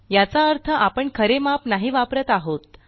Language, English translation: Marathi, This means we do not use exact measurements